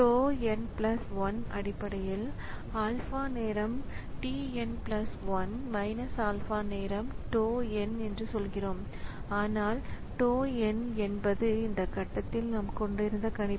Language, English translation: Tamil, So, we say that tau n plus 1 is basically alpha time tn plus 1 minus alpha time tau n where tau n is basically the prediction that we had at this point